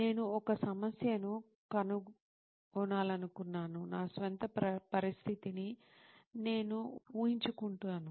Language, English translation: Telugu, I wanted to find a problem, I imagine my own situation